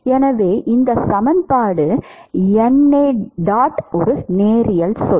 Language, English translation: Tamil, Which equations are linear